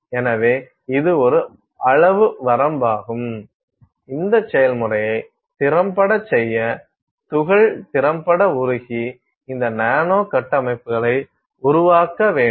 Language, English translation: Tamil, So, this is a size range that we need to have for us to effectively do this process, effectively melt the particle and create these nanostructures